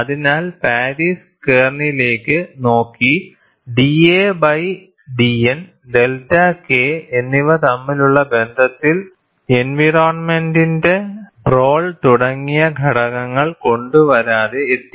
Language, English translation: Malayalam, So, Paris looked at the kernel and arrived at a relationship between d a by d N and delta K, without bringing in factors like role of environment etcetera